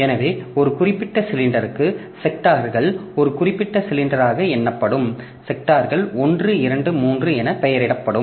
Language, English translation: Tamil, So, for a particular cylinder, the sectors will be numbered as one particular cylinder, the sectors will be named as 1, 2, 3 etc